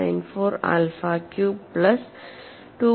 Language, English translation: Malayalam, 894 alpha cube plus 2